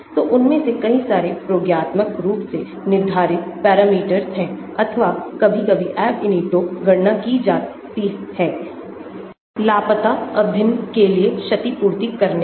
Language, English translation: Hindi, so many of them are experimentally determined parameters or sometimes from Ab initio calculations are used to compensate for the missing integral